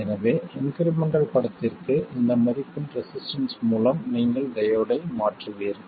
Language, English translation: Tamil, So, for the incremental picture, you replace the diode by a resistance of this value